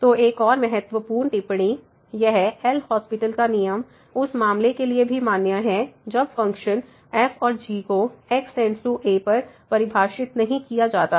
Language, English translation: Hindi, So, another important remark so, this L’Hospital’s rule also hold for the case when the functions and are not defined at is equal to